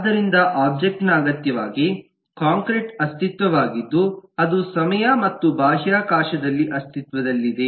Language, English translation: Kannada, so object necessarily is a concrete entity that exists in time and in space